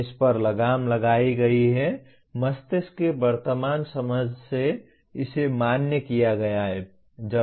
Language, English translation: Hindi, This has been reinforced, this has been validated by the present understanding of the brain